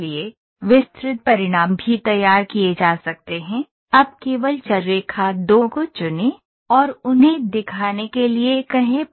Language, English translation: Hindi, So, detailed results can also be produced now let just pick the variable line 2, and tell them to show